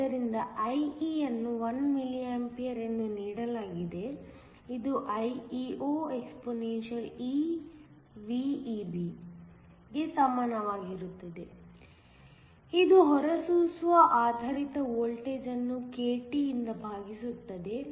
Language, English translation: Kannada, So, IE is given to be 1 mA which is equal to IEO exp which is the emitter based voltage divided by k T